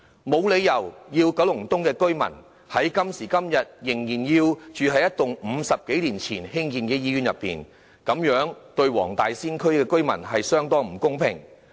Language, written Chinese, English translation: Cantonese, 今時今日，九龍東的居民沒有理由仍要在一棟50多年前興建的醫院內求診和接受治療，這對黃大仙區的居民相當不公平。, Nowadays there is no reason for residents of Kowloon East to seek medical consultation and receive treatment in a hospital built more than 50 years ago . It is most unfair to residents of the Wong Tai Sin District